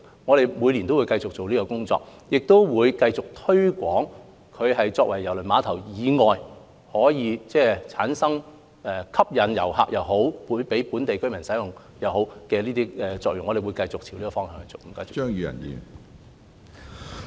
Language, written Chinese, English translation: Cantonese, 我們每年也會繼續進行有關工作，亦會繼續推廣它作為郵輪碼頭以外的用途，發揮吸引遊客及讓本地居民使用的功效，我們會繼續朝這個方向努力。, We keep working on it every year and will continue to promote the non - cruise services of KTCT so that KTCT can perform the functions of attracting visitors and serving local residents . We will continue to work in this direction